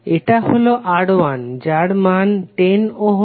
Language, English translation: Bengali, Let us put the value This is R1 that is 10 ohm